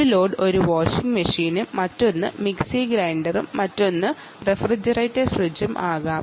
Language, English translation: Malayalam, one could be a mixer, mixer, grinder, and the other could be a refrigerator fridge